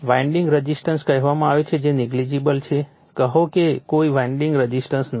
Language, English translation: Gujarati, Winding resistance say are negligible, say there is no winding resistance